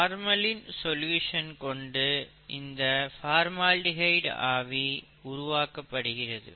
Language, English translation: Tamil, And the formaldehyde vapour is generated from, what are called formalin solutions